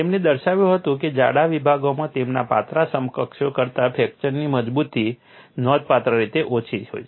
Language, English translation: Gujarati, He demonstrated that thick sections have markedly lower fracture toughness than their thin counterparts